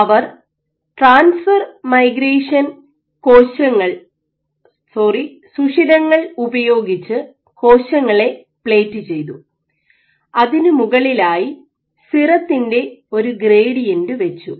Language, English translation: Malayalam, So, these are transfer migration inserts in which you plate cells on the top, put a gradient you put a gradient in serum